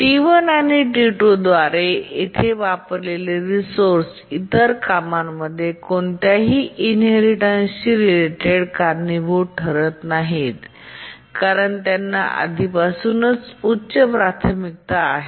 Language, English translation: Marathi, So, the resource uses here by T1 and T2, they don't cause any inheritance related inversions to the other tasks because these are already high priority